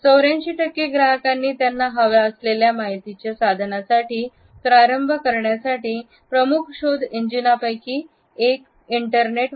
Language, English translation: Marathi, 84 percent of the customers used one of the major search engines to begin their exploration for information